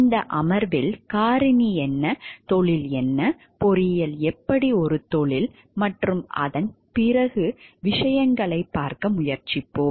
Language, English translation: Tamil, In this session we will try to look into the factor, what is the profession, how engineering is a profession and things thereafter